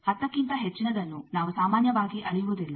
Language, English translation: Kannada, More than ten generally we do not measure